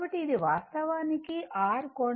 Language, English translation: Telugu, So, this is actually R angle 0